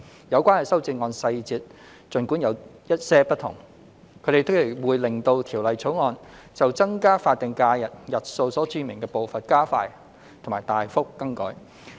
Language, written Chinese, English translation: Cantonese, 有關的修正案細節儘管有些不同，但全部皆會令《2021年僱傭條例草案》就增加法定假日日數所註明的步伐加快及大幅更改。, The amendments albeit different in details will all give the effect of expediting and significantly altering the pace of increasing the additional SHs as specified in the Employment Amendment Bill 2021 the Bill